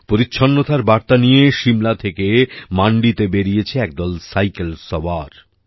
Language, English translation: Bengali, A group of cyclists have started from Shimla to Mandi carrying the message of cleanliness